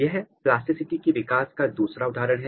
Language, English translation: Hindi, This is another case of plasticity, developmental plasticity